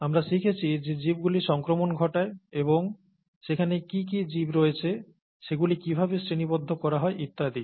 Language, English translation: Bengali, We learnt that organisms cause infection and what organisms there are, how they are classified and so on